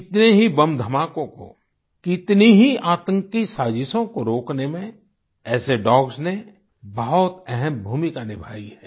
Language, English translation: Hindi, Such canines have played a very important role in thwarting numerous bomb blasts and terrorist conspiracies